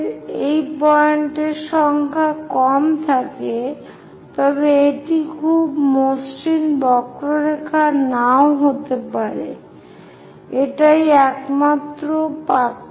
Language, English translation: Bengali, If we have less number of points, it may not be very smooth curve; that is the only difference